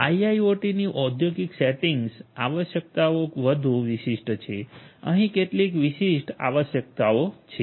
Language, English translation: Gujarati, IIoT industrial settings industrial IoT requirements are more specific there are certain specific requirements over here